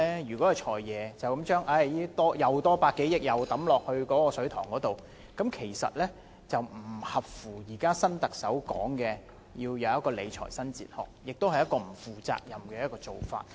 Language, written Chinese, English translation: Cantonese, 如果"財爺"又將這百多億元投入"水塘"裏面，就不符合現在新特首說的理財新哲學，亦是不負責任的做法。, If the Financial Secretary again throws this sum into the reservoir then he is not adhering to the new fiscal philosophy suggested by the new Chief Executive and it is also irresponsible of him